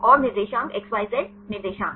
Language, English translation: Hindi, And the coordinates xyz coordinates